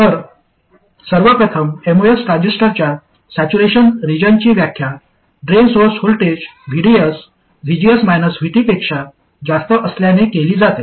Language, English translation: Marathi, So first of all, saturation region of a MOS transistor is defined by the drain source voltage VDS being greater than VGS minus VT